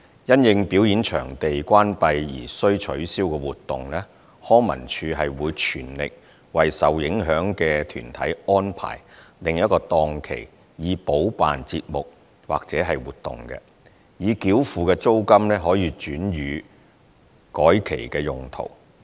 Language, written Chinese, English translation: Cantonese, 因應表演場地關閉而需取消的活動，康文署會全力為受影響的團體安排另一檔期以補辦節目或活動，已繳付的租金可轉予改期用途。, For activities which were cancelled due to closure of performance venues LCSD will arrange the affected arts groups to hold the events or activities on other dates with its best endeavours and allow hire charges paid to be transferred for the rescheduled dates